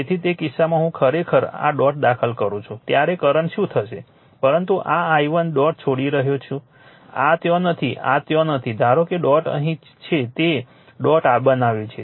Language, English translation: Gujarati, So, in that case what will happen the current I actually entering into this dot, but this I leaving the dot right this is not there this this is not there suppose dot is here you have made the dot